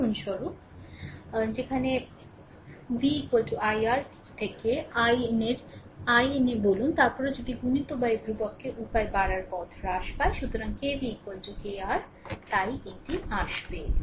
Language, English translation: Bengali, For example, where you make v is equal to i R say in ohms law right, then if you multiplied by constant k way increase way decrease, so KV is equal to K I R, so will come to that